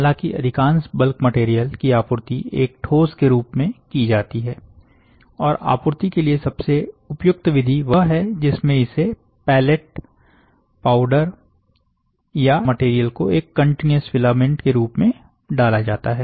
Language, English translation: Hindi, Most bulk material is; however, supplied as a solid, and the most suitable method of supplying are in pellet or powder form, or where the material is fed in as a continuous filament